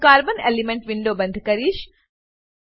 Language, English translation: Gujarati, I will close the Carbon elemental window